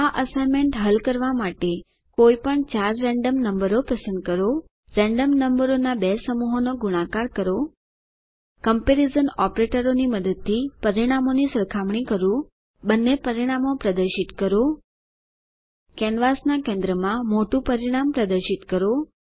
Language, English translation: Gujarati, To solve the assignment Choose any four random numbers Multiply two sets of random numbers Compare the results using the comparison operators Display both the results Display greater result at the center of the canvas You can choose any equation which you like